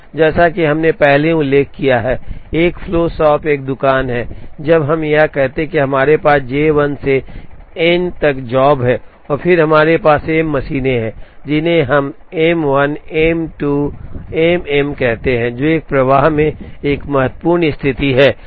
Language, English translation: Hindi, As we have already mentioned, a flow shop is a shop, where say we have n jobs J 1 up to J n and then we have M machines, which we would call as M 1 M 2 and M m an important condition in a flow shop is that, all the jobs will have to visit all the machines, in the same sequence